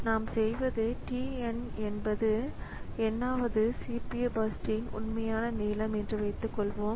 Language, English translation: Tamil, So, what we do is suppose TN is the actual length of the nth CPU burst